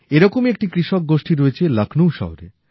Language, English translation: Bengali, One such group of farmers hails from Lucknow